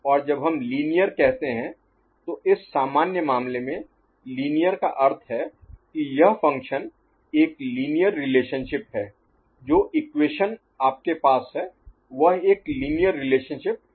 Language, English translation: Hindi, And when we say linear, so this general case, linear means this function has got a linear relationship, the equation that you are having is a linear relationship, ok